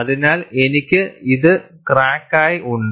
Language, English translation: Malayalam, So, I have this as the crack